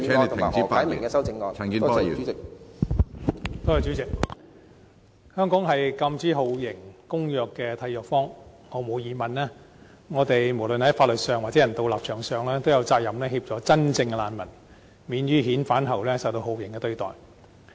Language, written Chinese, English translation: Cantonese, 香港是《禁止酷刑和其他殘忍、不人道或有辱人格的待遇或處罰公約》的締約方，毫無疑問，我們無論在法律上或人道立場上，都有責任協助真正的難民免於遣返後受到酷刑對待。, Hong Kong is a signatory to the United Nations Convention Against Torture and Other Cruel Inhuman or Degrading Treatment or Punishment . Without any question on legal or humanitarian grounds we have the obligation to assist genuine refugees in obtaining non - refoulement protection